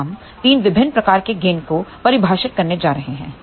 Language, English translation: Hindi, Now we are going to define 3 different types of gain